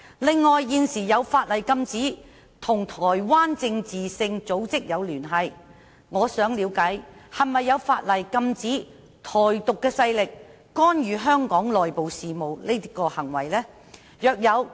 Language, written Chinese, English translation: Cantonese, 另外，現時有法例禁止與台灣政治性組織有聯繫，我想了解是否有法例禁止"台獨"勢力干預香港內部事務的行為呢？, Besides in view of the existing legislation which prohibits any ties with political organizations in Taiwan I would like to know whether there are laws prohibiting forces advocating Taiwan Independence from interfering in the internal affairs of Hong Kong?